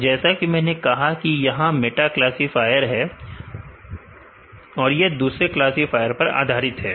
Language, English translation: Hindi, So, since I said these are meta classifier, they depend on other classifier